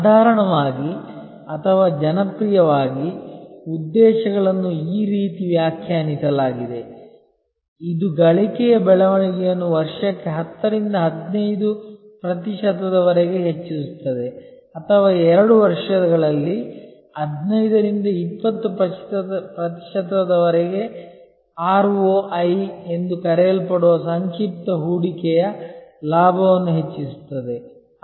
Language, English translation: Kannada, Normally or popularly, objectives are define like this, that increase earnings growth from 10 to 15 percent per year or boost return on equity investment in short often called ROI, from 15 to 20 percent in 2 years or something like that